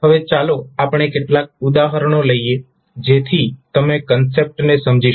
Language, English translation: Gujarati, Now, let us take few of the examples so that you can understand the concept